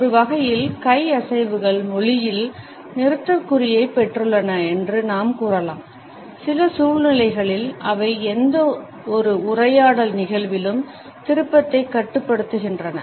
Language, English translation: Tamil, In a way we can say that hand movements have taken the place of punctuation in language, in certain situations they regulate turn taking during any conversation event